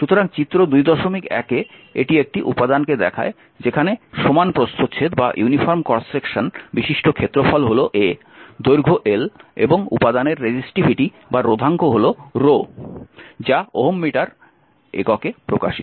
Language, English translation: Bengali, So, figure 1 a it is shows a material with uniform cross section area sectional area of A length is l and resistivity is ohm rho that is ohm meters, right